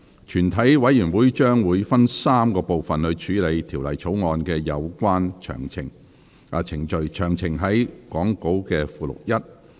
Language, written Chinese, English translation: Cantonese, 全體委員會將會分3個環節處理《條例草案》的有關程序，詳情載於講稿附錄1。, The committee of the whole Council will deal with the relevant proceedings of the Bill by dividing them into three sessions . Details of which are set out in Appendix 1 to the Script